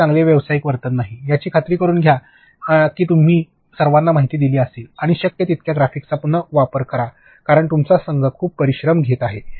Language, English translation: Marathi, Then its not good professional behavior, you make sure that you keep everybody informed and as far as possible try and reuse graphics because, your team is working very hard